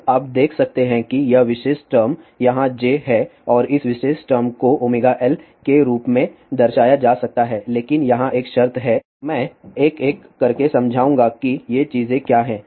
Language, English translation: Hindi, Now, you can see that this particular term is j here and this term can be represented as omega L, but there is a condition over here I will explain one by one what are these things